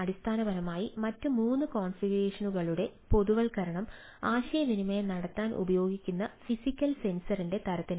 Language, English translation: Malayalam, basically, generalization of the other three configuration lies in the type of physical sensor with a physical sensor communicate